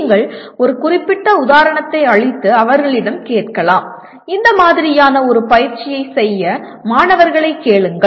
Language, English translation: Tamil, You can give a particular example and ask them, ask the students to do an exercise of this nature